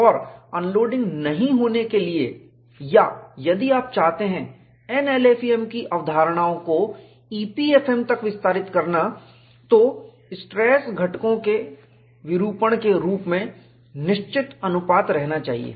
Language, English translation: Hindi, And, for unloading not to occur, or if you want to extend the concepts of NLEFM to EPFM, the stress components must remain in fixed proportion, as the deformation proceeds